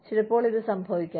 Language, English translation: Malayalam, Sometimes, this may happen